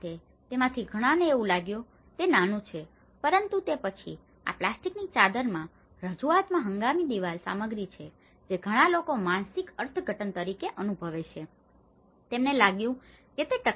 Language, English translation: Gujarati, Many of them, they felt it was small but then, the introduction of this plastic sheeting has a temporary wall material that many people as a psychological interpretation, they felt it is not durable